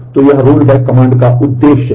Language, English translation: Hindi, So, this is the purpose of the rollback command